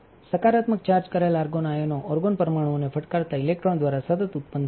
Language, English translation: Gujarati, Positively charged argon ions are continuously generated by electrons hitting the argon atoms